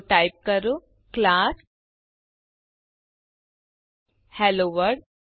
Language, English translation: Gujarati, So type class HelloWorld